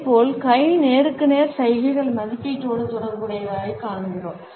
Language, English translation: Tamil, Similarly, we find that hand to face gestures are associated with evaluation